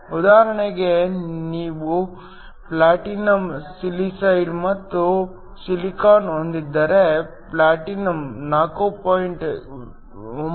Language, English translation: Kannada, For example, if you have platinum silicide and silicon